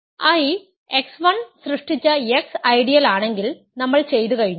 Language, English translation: Malayalam, If I is x the ideal generate by x 1 then we are done, why is that